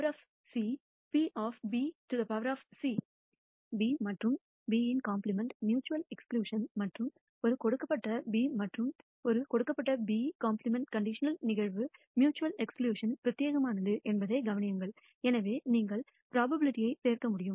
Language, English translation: Tamil, Notice that B and B complement are mutually exclusive and therefore con ditional event to A given B and A given B complement are mutually exclusive and therefore, you are able to add the probabilities